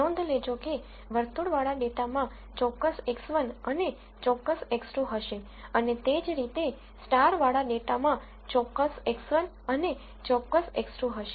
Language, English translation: Gujarati, Notice that circled data would have certain x 1 and certain x 2 and, similarly starred data would have certain x 1 and certain x 2